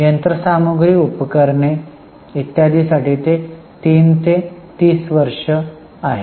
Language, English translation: Marathi, Then plant, machinery equipment, it is 3 to 30 years